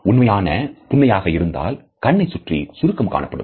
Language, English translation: Tamil, You can tell if it is a real smile if there are wrinkles around their eyes